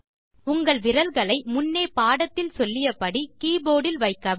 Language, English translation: Tamil, Place your fingers on the keyboard as indicated earlier in the lesson